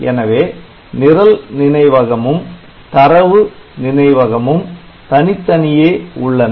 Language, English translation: Tamil, So, program memory and data memory they are separate